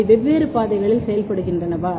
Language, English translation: Tamil, Are they working in the different pathways